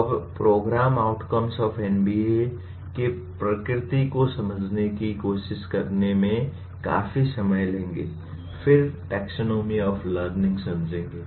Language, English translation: Hindi, We take considerable time in trying to understand the nature of the program outcomes of NBA, then taxonomy of learning